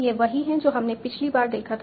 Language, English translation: Hindi, So, this is what we had seen last time